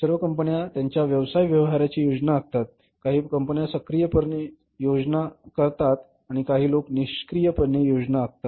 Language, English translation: Marathi, All companies plan in their business process, some companies plan actively, some companies plan passively